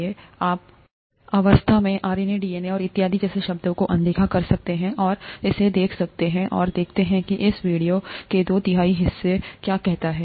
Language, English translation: Hindi, So you could ignore the terms such as RNA, DNA and so on so forth at this stage and watch this, and watch about let’s say two thirds of this video